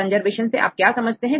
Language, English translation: Hindi, So, what do you think about conservation